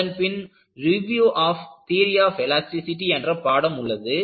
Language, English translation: Tamil, Then, you will have Review of Theory of Elasticity